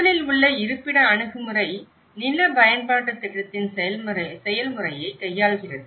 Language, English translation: Tamil, In the first one, the location approach, it deals with the process of land use planning